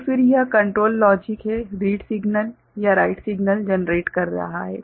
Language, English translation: Hindi, So, then this control logic is generating a write signal, right or a read signal